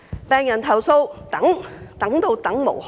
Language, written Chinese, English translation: Cantonese, 病人投訴、苦等，等到等無可等。, On the part of patients their chorus of complaints has not saved them from waiting